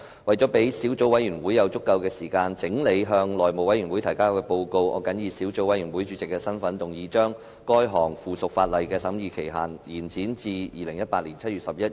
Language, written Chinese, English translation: Cantonese, 為了讓小組委員會有足夠時間整理向內務委員會提交的報告，我謹以小組委員會主席的身份，動議將該項附屬法例的審議期限，延展至2018年7月11日。, In order to allow the Subcommittee sufficient time to compile the report for submission to the House Committee I move in my capacity as the Subcommittee Chairman that the scrutiny period of the piece of subsidiary legislation be extended to 11 July 2018